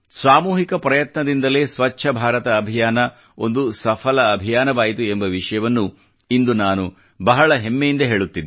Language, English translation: Kannada, Today, I'm saying it with pride that it was collective efforts that made the 'Swachch Bharat Mission' a successful campaign